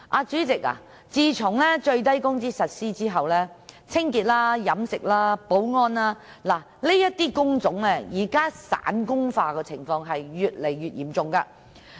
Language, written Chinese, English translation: Cantonese, 主席，自從實施最低工資後，清潔、飲食、保安等工種散工化的情況越來越嚴重。, President since the implementation of the minimum wage the situation of jobs being turned into casual ones has become increasingly serious in such types of work as cleansing catering and security